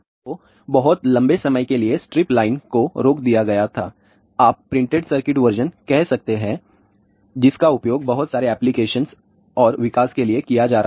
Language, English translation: Hindi, So, for very long time stripline was stopped, you can say printed circuit version which was being used for lot of applications and development